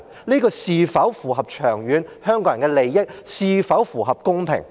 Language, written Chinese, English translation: Cantonese, 這是否符合香港人長遠的利益，是否公平？, Is it in line with the long - term interest of Hong Kong people? . Is it fair?